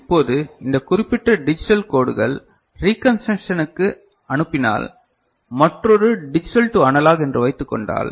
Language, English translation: Tamil, Now, when this particular digital codes are sent for reconstruction from say another digital to analog